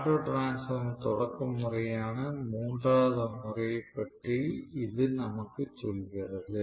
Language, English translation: Tamil, So this essentially tells us about the third method of starting which auto transformer starting